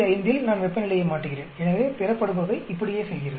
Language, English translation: Tamil, 5 I change temperature, so the yield keeps going up like this